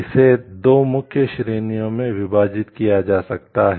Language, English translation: Hindi, It can be divided into 2 main categories